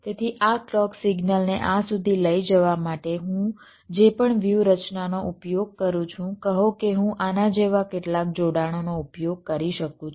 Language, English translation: Gujarati, so whatever strategy i use to carry this clock signal up to this say i can use some connections like this